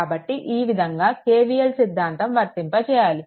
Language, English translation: Telugu, So, you apply KVL like this, you apply KVL like this